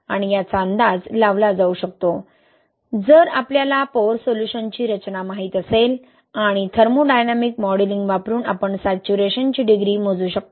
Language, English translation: Marathi, And these can be estimated, if we know the composition of pore solution and using thermodynamic modelling we can calculate the degree of saturation